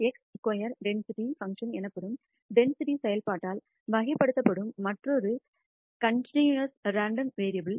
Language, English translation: Tamil, Another continuous random variable who is characterized by density function known as the chi square density function